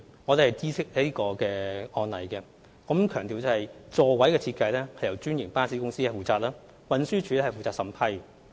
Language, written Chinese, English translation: Cantonese, 我們已知悉這宗案例，並須強調座位設計由專營巴士公司負責，運輸署則負責審批。, We are aware of the case mentioned and have to emphasize that franchised bus companies are responsible for the design of seats while the Transport Department TD is responsible for vetting and approving the design